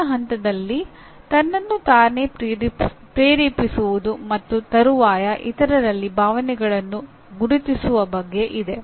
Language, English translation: Kannada, Next stage is motivating oneself and subsequently recognizing emotions in others